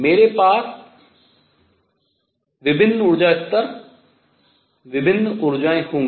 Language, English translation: Hindi, I am going to have different energy levels, different energies